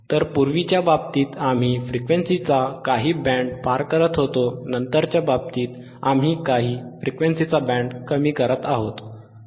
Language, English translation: Marathi, So, in thisformer case, we are passing certain band of frequencies, in thislatter case we are attenuating some band of frequencies right